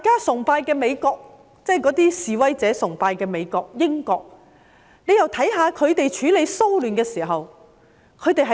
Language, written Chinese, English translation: Cantonese, 我們又看看示威者崇拜的美國和英國，是怎樣處理騷亂。, Let us look at how the United States and the United Kingdom which protesters revere handle riots